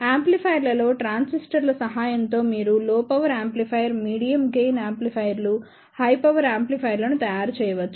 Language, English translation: Telugu, In amplifiers with the help of transistors, you can make the low power amplifier, medium gain amplifiers, high power amplifiers